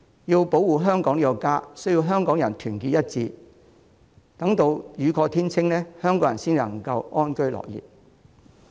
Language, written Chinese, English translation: Cantonese, 要保護香港這個家，需要香港人團結一致，等待雨過天晴，香港人才能夠安居樂業。, To protect Hong Kong our home Hongkongers need to stand together in solidarity waiting for sunshine after the rain . Only then can Hongkongers live and work in peace and contentment